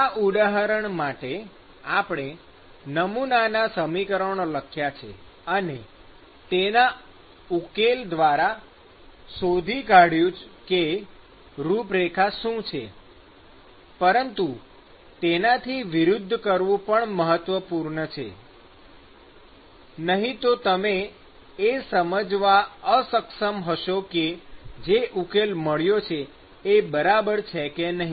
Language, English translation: Gujarati, So, right now, we wrote the model equations and we found out what the profile is, but it is also important to do vice versa, otherwise the solution that you get, you may not be able to figure out whether the solution you got is right or wrong